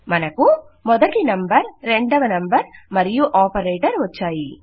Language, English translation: Telugu, We have got our first number, our second number and an operator